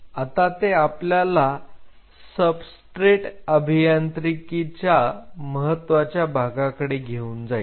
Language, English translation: Marathi, Now that will take us to the domain of substrate engineering